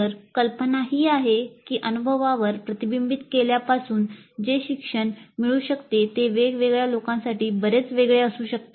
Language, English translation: Marathi, So the idea is that the learning that can happen from reflecting on the experience can be quite quite different for different people